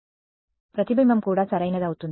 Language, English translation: Telugu, Reflection will occur from healthy tissue also correct right